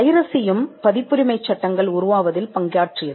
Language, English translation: Tamil, Piracy also played a role in having the copyright laws in place